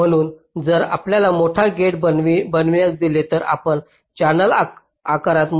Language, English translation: Marathi, so if you are give making a gate larger, you are making the channel larger in size